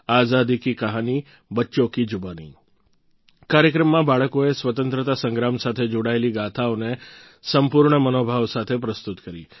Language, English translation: Gujarati, In the programme, 'Azadi Ki Kahani Bachchon Ki Zubani', children narrated stories connected with the Freedom Struggle from the core of their hearts